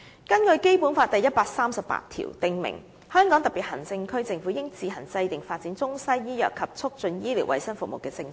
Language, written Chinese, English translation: Cantonese, 《基本法》第一百三十八條訂明："香港特別行政區政府自行制定發展中西醫藥和促進醫療衛生服務的政策。, Article 138 of the Basic Law stipulates that The Government of the Hong Kong Special Administrative Region shall on its own formulate policies to develop Western and traditional Chinese medicine and to improve medical and health services